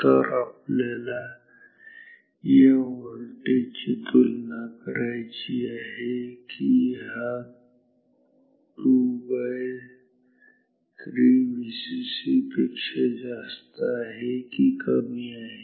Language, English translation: Marathi, So, we have to compare this voltage whether it is higher than this two third of V c c or is it lower than this level